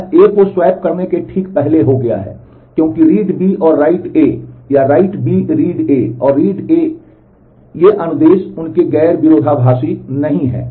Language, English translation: Hindi, It has become before right A can swap it with, because read B and write A, or write B read B and read A these do not conflict their non conflicting instruction